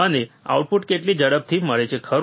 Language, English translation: Gujarati, How fast I get the output, right